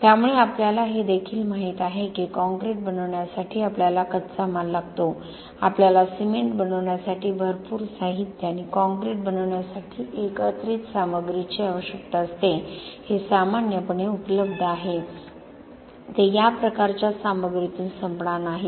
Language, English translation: Marathi, So, having said that we also know that for making concrete we need raw material, we need a lot of material to make the cement and aggregates to make the concrete this are generally available they are not going to run out of this type of materials